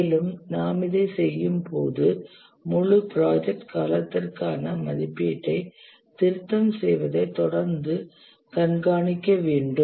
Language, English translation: Tamil, And as we do this, we need to continuously monitor, revise the estimate for the entire project duration